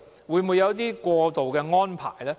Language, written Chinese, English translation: Cantonese, 會否有一些過渡安排？, Will there be any transitional arrangements?